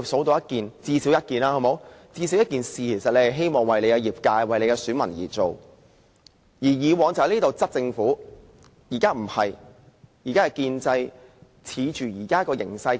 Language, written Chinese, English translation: Cantonese, 大家最少能舉出一件希望為其業界和選民而做的事，而以往這裏是大家迫使政府做事的地方。, Members should be able to cite at least one thing they wish to do for their trade or sector as well as their electors . In the past the Legislative Council was a venue for Members to force the Government to do something but it is not the case now